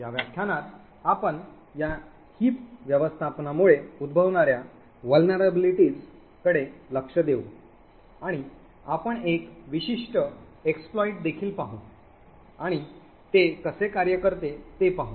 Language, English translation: Marathi, In this lecture we will look at vulnerabilities that may occur due to this heap management and we will also see one particular exploit and look at how it works